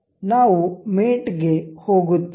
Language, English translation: Kannada, We will go to mate